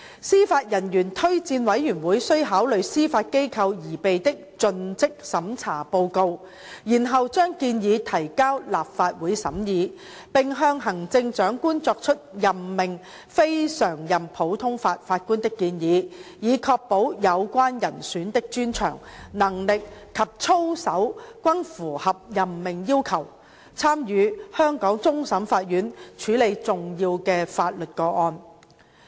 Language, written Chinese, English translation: Cantonese, 司法人員推薦委員會須考慮司法機構擬備的盡職審查報告，然後將建議提交立法會審議，並向行政長官作出任命非常任普通法法官的建議，以確保有關人選的專長、能力及操守均符合任命要求，參與香港終審法院處理重要的法律個案。, JORC should consider the due diligence report prepared by the Judiciary and then submit the recommendation to the Legislative Council for scrutiny and make a recommendation to the Chief Executive for appointment of CLNPJs so as to ensure that the expertise capability and conduct of the relevant candidates meet the appointment requirements to sit on the Court of Final Appeal in Hong Kong to handle important legal cases